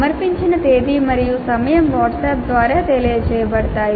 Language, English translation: Telugu, Date and time of submission are communicated through WhatsApp